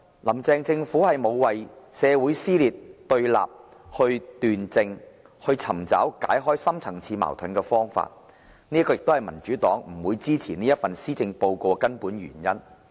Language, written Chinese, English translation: Cantonese, "林鄭"政府沒有為社會撕裂和對立斷症，尋找解決深層次矛盾的方法，這是民主黨不會支持這份施政報告的根本原因。, The administration of Carrie LAM has not rightly identified the causes of social dissension and confrontation and has not addressed deep - rooted conflicts . These are the major reasons why the Democratic Party will not support this Policy Address